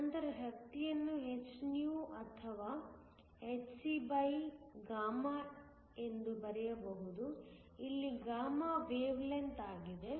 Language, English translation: Kannada, Then also write energy as hυ or hc, where is the wavelength